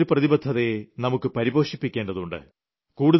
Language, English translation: Malayalam, We have to carry forward this commitment and make it stronger